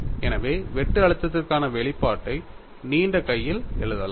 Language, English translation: Tamil, So, we can write the expression for shear stress in long hand